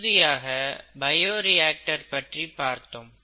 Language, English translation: Tamil, And then, we looked at what a bioreactor was